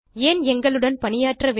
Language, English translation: Tamil, Why should you work with us